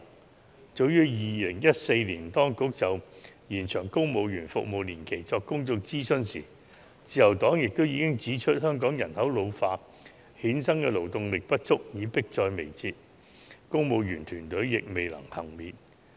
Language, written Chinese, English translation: Cantonese, 在當局早於2014年就"延長公務員服務年期"進行公眾諮詢的時候，自由黨已經指出，香港人口老化衍生的勞動力不足問題迫在眉睫，公務員團隊亦未能幸免。, Back in 2014 when the Administration conducted a public consultation on extension of service of civil servants the Liberal Party pointed out that the shortage of labour due to an ageing population in Hong Kong was an imminent problem and the Civil Service could not be spared